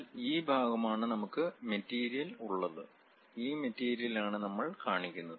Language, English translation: Malayalam, But this is the portion where we have material, that material what we are representing by this